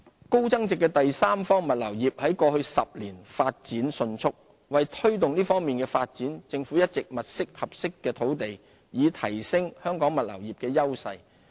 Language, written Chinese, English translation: Cantonese, 高增值的第三方物流業在過去10年發展迅速。為推動這方面的發展，政府一直物色合適的土地，以提升香港物流業的優勢。, In view of the rapid development of high value - added third - party logistics services over the past decade the Government has been identifying suitable sites to facilitate and to further enhance the strengths of our logistics industry in this area